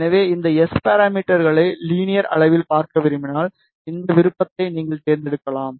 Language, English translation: Tamil, So, suppose if you want to see these S parameters in linear scale, you can select this option